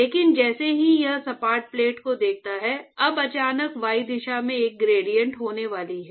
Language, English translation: Hindi, But as soon as it sees the flat plate, now suddenly there is going to be a gradient in the y direction